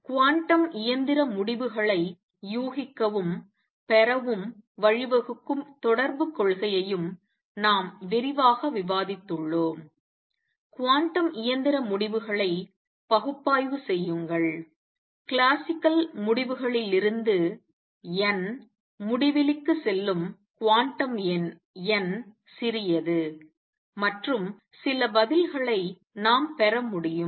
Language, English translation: Tamil, We have also discussed quite in detail the correspondence principle that lead to guessing and deriving quantum mechanical results, analyze a quantum mechanical results I would mean the quantum number n small, from the classical results n tending to infinity and we could get some answers